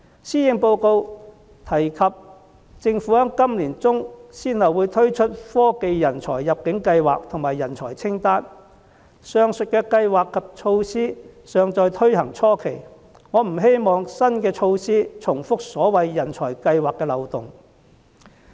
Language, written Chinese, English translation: Cantonese, 施政報告提及政府在今年年中先後會推出科技人才入境計劃及人才清單，上述計劃及措施尚在推行初期，我不希望新措施重複所謂人才計劃的漏洞。, The Policy Address says that the Government introduced the Technology Talent Admission Scheme and the Talent List one after another in the middle of this year . The above scheme and measure were still in their preliminary stages of implementation and I do not want to see similar loopholes witnessed in the so - called talent schemes